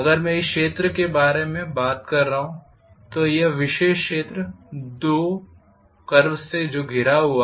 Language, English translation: Hindi, So this particular area that is which is enclosed by the two curves